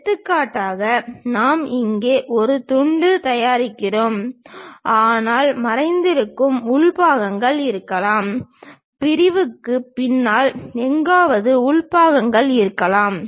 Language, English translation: Tamil, For example, we are making a slice here, but there might be internal parts which are hidden; somewhere here behind the section there might be internal parts